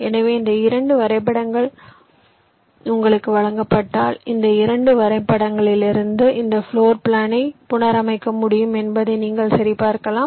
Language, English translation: Tamil, so these two graphs, you, you can check that if you are given these two graphs, from these two graphs you can reconstruct this floor plan